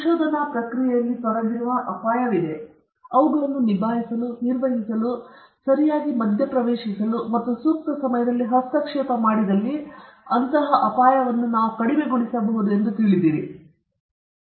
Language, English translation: Kannada, Be aware of the fact that the risk involved, there are risk involved in the research process, and we should also be prepared to tackle them, to manage them, to properly intervene and interfere at the right time, so that we can minimize risk